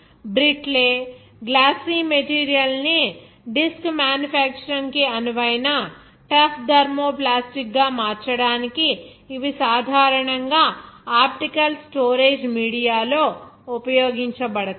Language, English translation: Telugu, These are generally used in optical storage media, to convert a brittle, glassy material into a tough thermoplastic suitable for disk manufacture